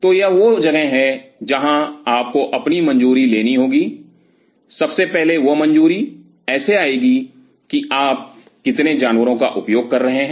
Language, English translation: Hindi, So, that is where you have to get your clearance how first of all that clearance will come with how many animals you will be using